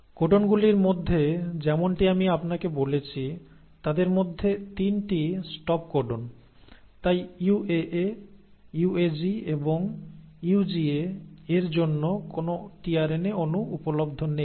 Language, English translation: Bengali, Now among the codons as I told you, 3 of them are stop codons, so for UAA, UAG and UGA there is no tRNA molecule available